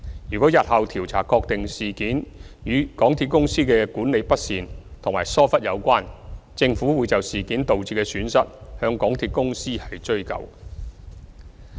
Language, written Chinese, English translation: Cantonese, 如果日後調查確定事件與港鐵公司的管理不善及疏忽有關，政府會就事件導致的損失向港鐵公司追究。, If future investigation confirms that the incident is related to the mismanagement and negligence of MTRCL the Government will hold MTRCL accountable for the losses caused by the incident